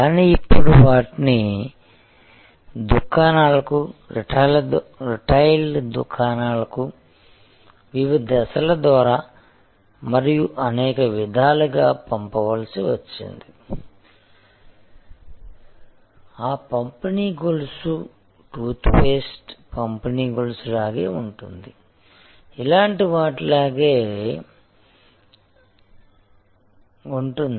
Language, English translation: Telugu, But, then those had to be sent to stores, retail stores through various stages of distribution and in many ways that distribution chain was no different from the distribution chain for toothpaste or so for most of the products